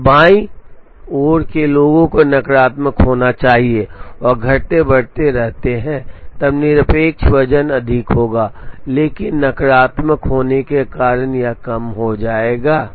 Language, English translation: Hindi, And those to the left should have negative and decreasing as then the absolute weight will be high, but because of the negative it will be decreasing